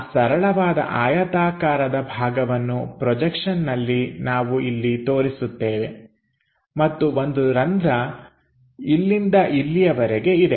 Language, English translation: Kannada, So, that simple rectangular block on the projection we are representing it here and hole begins there ends there